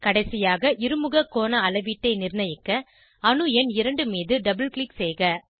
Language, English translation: Tamil, Lastly, to fix the dihedral angle measurement, double click on atom number 2